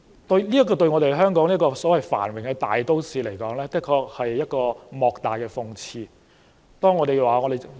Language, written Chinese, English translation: Cantonese, 對香港這個繁榮的大都市而言，的確是莫大的諷刺。, Hong Kong is a prosperous cosmopolis . The problem is indeed a big irony